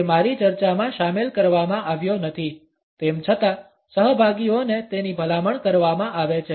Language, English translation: Gujarati, It is not been included in my discussion, nonetheless it is recommended to the participants